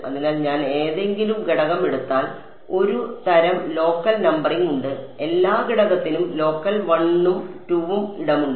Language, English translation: Malayalam, So, if I take any element so, there is a kind of a local numbering every element has a local 1 and a 2 left and right